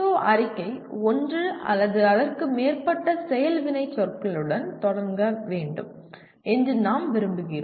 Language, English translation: Tamil, We want the PSO statement to start with one or more action verbs